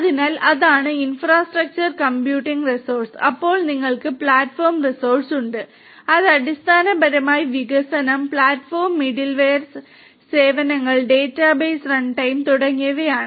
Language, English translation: Malayalam, So, that is the infrastructure computing resource, then you have the platform resource which is basically in the form of the development, platform, the middleware services, database runtime and so on the platform resources